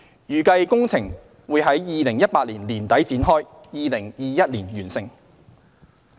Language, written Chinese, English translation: Cantonese, 預計工程於2018年年底展開，並於2021年完成。, The works are expected to commence at the end of 2018 and be completed in 2021